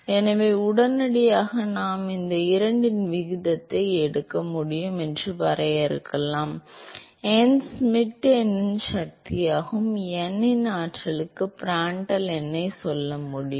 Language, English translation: Tamil, So, immediately we could define so I could take a ratio of these two, I can say Prandtl number to the power of n Schmidt number to the power of n